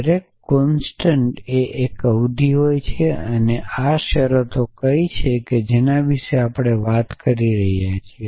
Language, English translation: Gujarati, So, every constant is a term so what are these terms that we are talking about